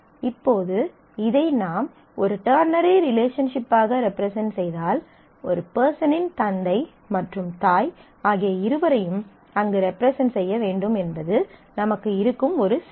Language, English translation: Tamil, Now, if we represent this as a ternary relationship then the one difficulty that we have that a person must have both the father and mother to be represented there